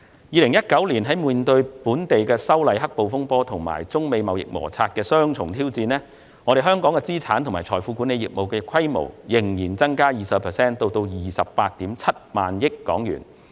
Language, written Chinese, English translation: Cantonese, 2019年，在面對反修例"黑暴"風波及中美貿易摩擦的雙重挑戰下，香港資產及財富管理業務的規模仍增加 20% 至 287,000 億港元。, In 2019 in the face of the dual challenges posed by the black - clad violence arising from the opposition to the proposed legislative amendments and the Sino - US trade conflicts the asset and wealth management business of Hong Kong still recorded an increase of 20 % to HK28.7 trillion